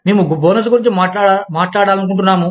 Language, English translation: Telugu, We want to talk about, bonuses